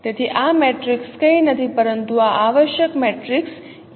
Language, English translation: Gujarati, So this matrix is nothing but this is the essential matrix